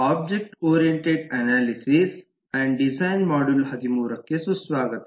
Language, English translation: Kannada, welcome to module 13 of object oriented analysis and design